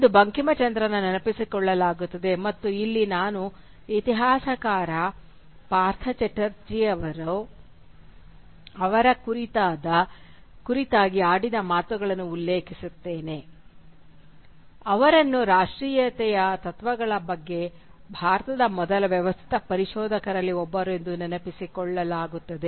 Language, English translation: Kannada, Today Bankimchandra is remembered, almost exclusively, as one of the first, and here I quote the words of the historian Partha Chatterjee, he is remembered as “one of the first systematic expounders in India of the principles of nationalism”